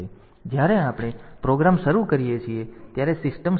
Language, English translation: Gujarati, So, when we start the program the start the system